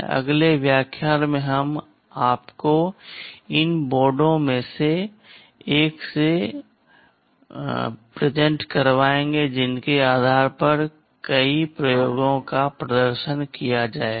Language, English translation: Hindi, In the next lecture we shall be introducing you to one of the boards based on which many of the experiments shall be demonstrated